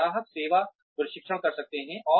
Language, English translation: Hindi, We can have customer service training